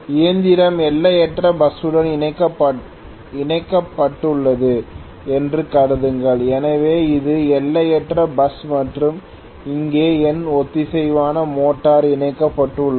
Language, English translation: Tamil, Actually assume that the machine is connected to the infinite bus, so this is the infinite bus and here is where my synchronous motor is connected okay